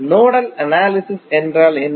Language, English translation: Tamil, What do you mean by nodal analysis